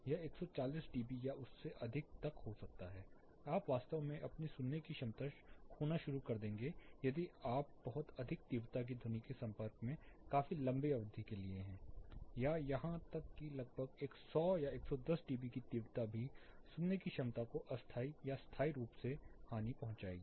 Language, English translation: Hindi, It can be as high as 140 dB or further more you will actually start losing your hearing ability if you are exposed to very high intensity sound or even intensities of around 100 110 dB for quite a longer duration there will be temporary and permanent hearing impairments